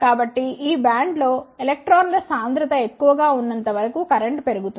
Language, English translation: Telugu, So, as long as the concentration of electrons is more in this band the current increases